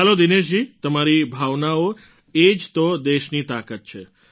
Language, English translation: Gujarati, Fine Dinesh ji…your sentiment is the strength of the country